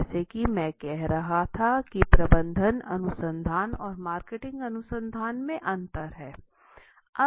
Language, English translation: Hindi, As now as I was saying there is the difference between the management research and the marketing research